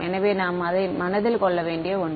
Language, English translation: Tamil, So, that is something to keep in mind